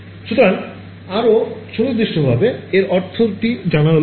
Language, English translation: Bengali, So, more precisely means it is known